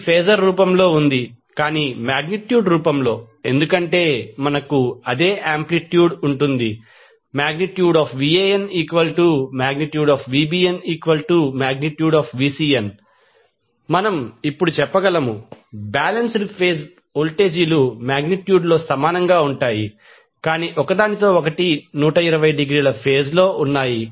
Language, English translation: Telugu, So, that is in phasor form, but in magnitude form, since, we have same amplitude will get Van equal to the model of Van equal to mod of Vbn equal to mod of Vcn so, what we can say now, the balanced phase voltages are equal in magnitude, but are out of phase with each other by 120 degree